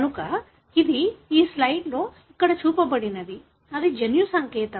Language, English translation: Telugu, So this, what is shown here in this slide is, that, is the genetic code